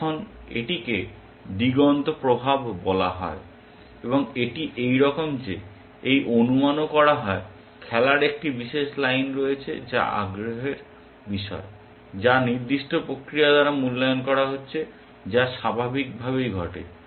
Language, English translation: Bengali, Now, this something called the horizon effect, and this is as follows that, this supposing, there is one particular line of play which is of interest, which is being evaluated by certain mechanism as which happens naturally in this